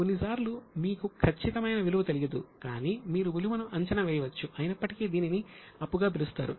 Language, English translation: Telugu, Sometimes you don't know exact value, but you can estimate the value, still it will be called as a liability